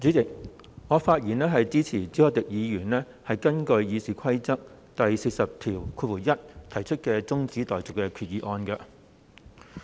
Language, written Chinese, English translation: Cantonese, 主席，我發言支持朱凱廸議員根據《議事規則》第401條提出的中止待續議案。, President I rise to speak in support of the adjournment motion proposed by Mr CHU Hoi - dick under Rule 401 of the Rules of Procedure